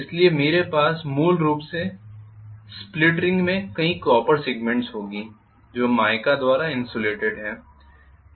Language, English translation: Hindi, So I will have a essentially the split ring divided into multiple number of copper segments which are insulated by mica